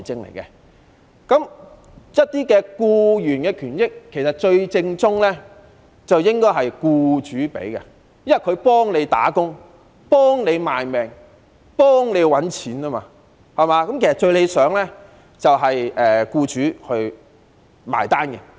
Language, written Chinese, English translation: Cantonese, 其實，對於僱員權益，最正統的做法便是由僱主提供，因為僱員替他們打工、為他們賣命、幫他們賺錢，故此最理想的做法應該是由僱主"埋單"。, In fact the most appropriate approach is for employers to provide their employees with the rights and interests because their employees are working for them working themselves to the bone for them and earning money for them . Hence the best way should be for employers to foot the bill